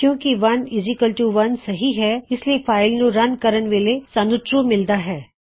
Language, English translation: Punjabi, If 1 is not equal 1, what we should get when we run our file is False